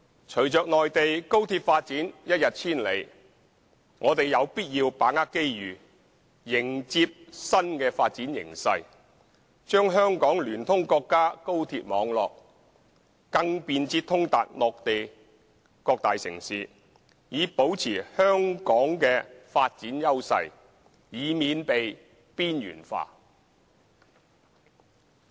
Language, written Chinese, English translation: Cantonese, 隨着內地高鐵發展一日千里，我們有必要把握機遇，迎接新的發展形勢，將香港聯通國家高鐵網絡，更便捷通達內地各大城市，以保持香港的發展優勢，以免被邊緣化。, Given the rapid development of high - speed rail on the Mainland we must grasp the opportunity and embrace the new development trend to connect Hong Kong to the national high - speed rail network for more convenient and speedy access to various major cities on the Mainland so as to maintain Hong Kongs development edge and avoid being marginalized